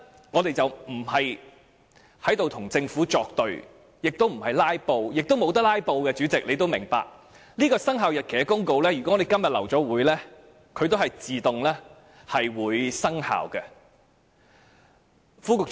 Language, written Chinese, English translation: Cantonese, 我們不是要與政府作對，亦不想"拉布"，主席也明白，如果今天的會議最後流會，這項生效日期公告也會自動生效。, We are not acting against the Government and we do not want to filibuster; as the President also understands if the meeting today is adjourned because of the lack of a quorum the Commencement Notice will still automatically take effect